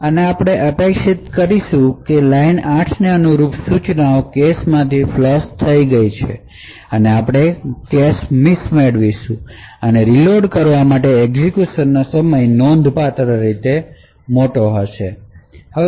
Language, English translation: Gujarati, And as we would expect since the instructions corresponding to line 8 has been flushed from the cache, we would obtain a cache miss and therefore the execution time to reload would be considerably large